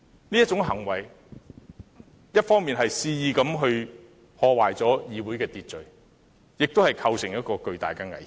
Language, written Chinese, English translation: Cantonese, 這種行為一方面肆意破壞社會秩序，另一方面亦構成巨大危險。, Such behaviour on the one hand brazenly disrupts the order of society and on the other causes serious hazards